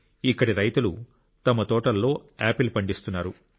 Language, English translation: Telugu, Farmers here are growing apples in their orchards